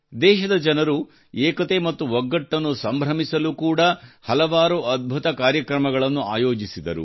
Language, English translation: Kannada, The people of the country also organized many amazing events to celebrate unity and togetherness